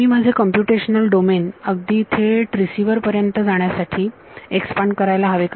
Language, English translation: Marathi, Should I expand my computational domain to go all the way to the receiver